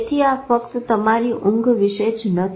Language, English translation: Gujarati, So it is not about your sleep only